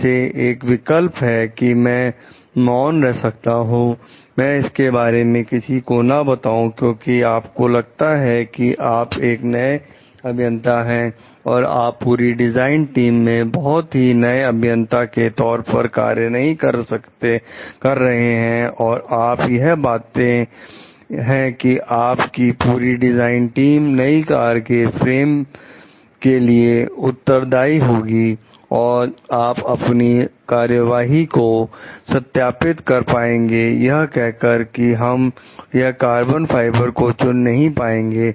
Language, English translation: Hindi, Like one option could be I remain silent, I don t report anything because you find like you are a new engineer you are not very you are a new engineer working as a part of the whole design team and it is a like your; and you find like your design team is responsible for designing a frame of the new car and you can justify your actions telling we didn t select it to be done through carbon fiber